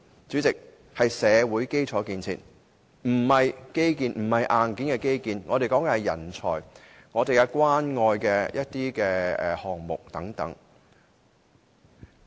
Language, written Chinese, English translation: Cantonese, 主席，社會基建並非指硬件的基建，我說的是人才、關愛基金項目等。, Chairman social infrastructure is not hardware infrastructure . I am talking about talents and Community Care Fund programmes